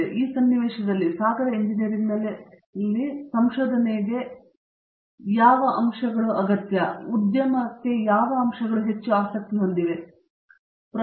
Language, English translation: Kannada, So, in this context, what aspects of research that go on in ocean engineering or of may be more immediate interest to the industry